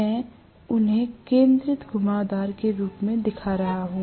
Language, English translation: Hindi, I am showing them in the form of concentrated winding